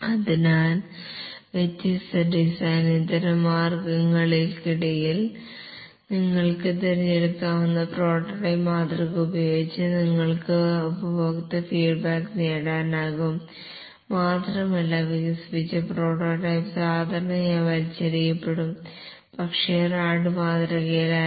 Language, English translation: Malayalam, And therefore, using the prototyping model, you can choose between different design alternatives, can elicit customer feedback, and the developed prototype is usually throw away, but not the rad model